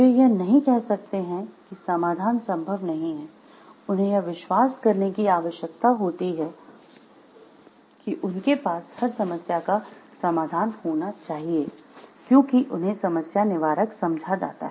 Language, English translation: Hindi, They cannot say like solution is not possible, they need to have they should believe like every problem it must be having a solution, because they are taken to be as problem solvers